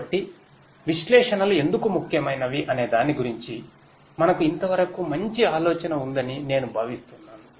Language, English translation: Telugu, So, I think we have so far a fair bit of idea about why analytics is important